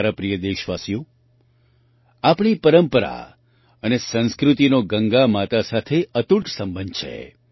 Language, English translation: Gujarati, My dear countrymen, our tradition and culture have an unbreakable connection with Ma Ganga